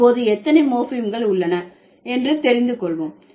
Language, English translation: Tamil, So, now let's find out how many morphems do we have